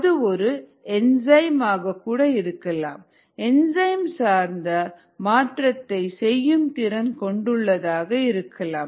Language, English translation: Tamil, or it could even have just an enzyme which does some enzymatic conversion